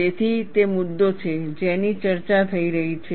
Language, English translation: Gujarati, So, that is the issue, that is being discussed